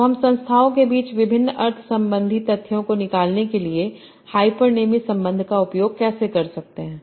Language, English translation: Hindi, So how do we use hyponyms relation for extracting various meaning related facts among entities